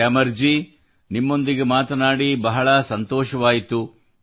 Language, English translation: Kannada, Gyamar ji, it was a pleasure talking to you